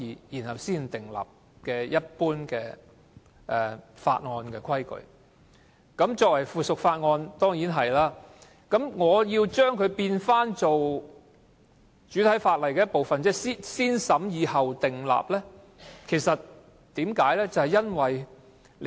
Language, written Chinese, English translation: Cantonese, 作為附屬法例，當然是這樣做，但我提出要將之變成主體法例的一部分，即要通過"先審議後訂立"的程序，為甚麼？, Subsidiary legislation is certainly handled in this way but I propose to turn the practice into a part of the principal ordinance subject to positive vetting . Why?